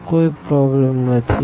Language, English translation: Gujarati, So, no problem